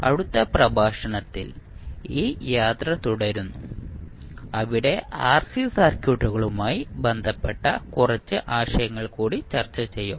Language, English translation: Malayalam, We continue this journey in the next lecture where we will discuss few more concepts related to rc circuits